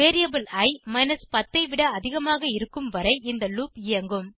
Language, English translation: Tamil, This loop will execute as long as the variable i is greater than 10